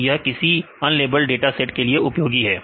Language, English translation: Hindi, So, it is useful mainly this is unlabeled dataset